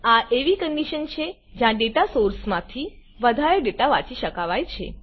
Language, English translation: Gujarati, It is a condition where no more data can be read from a data source